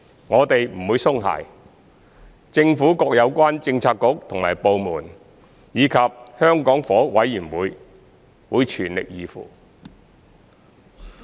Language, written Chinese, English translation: Cantonese, 我們不會鬆懈，政府各有關政策局和部門，以及香港房屋委員會會全力以赴。, Our efforts will not slacken . The relevant government bureaux and departments as well as the Hong Kong Housing Authority HA will do their utmost